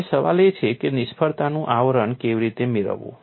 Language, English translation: Gujarati, Now the question is how to get the failure envelop